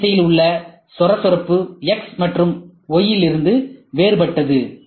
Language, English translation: Tamil, The roughness in the z direction is different from x and y